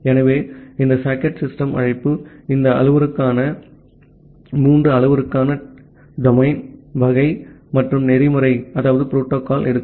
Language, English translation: Tamil, So, this socket system call it takes these parameters, three parameters the domain, type and the protocol